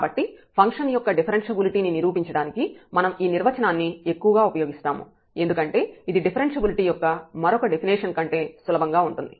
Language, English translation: Telugu, So, we most of the time you will use this definition to prove the differentiability of the function, because this is easier then that the other definition of the differentiability